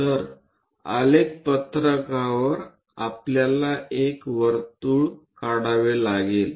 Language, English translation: Marathi, So, locate on the graph sheet with that we have to draw a circle